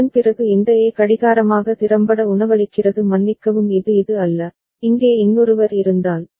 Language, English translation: Tamil, And after that this A is effectively feeding as clock sorry this is not this one, if there was another like here